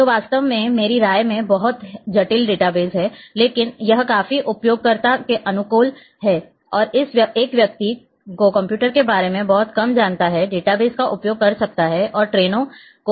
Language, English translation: Hindi, Which is really in my opinion it is very complex database, but it is quite user friendly and a person who know who knows about little bit about the computers can use the database and can book the trains